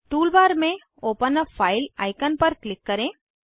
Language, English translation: Hindi, Click on Open a file icon in the tool bar